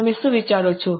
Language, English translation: Gujarati, What do you think